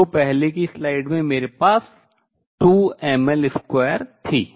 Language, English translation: Hindi, So, the earlier slide, I had in 2 m L square